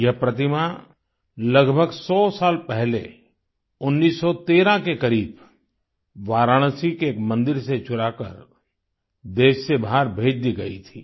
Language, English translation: Hindi, This idol was stolen from a temple of Varanasi and smuggled out of the country around 100 years ago somewhere around 1913